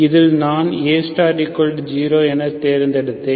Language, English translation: Tamil, In which I have chosen A Star equal to 0, okay